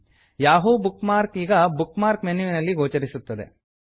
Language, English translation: Kannada, The Yahoo bookmark now appears on the Bookmark menu